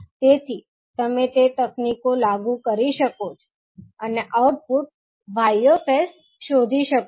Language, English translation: Gujarati, So, you can apply those techniques and find the output y s